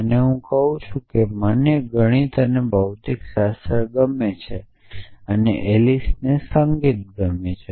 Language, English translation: Gujarati, So, I say I like math’s and physics a Alice likes music